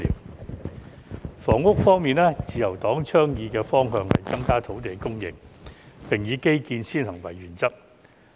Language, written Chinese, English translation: Cantonese, 在房屋方面，自由黨倡議的方向是增加土地供應，並以基建先行為原則。, In respect of housing the Liberal Party advocates the approach to increase land supply and the principle of infrastructure first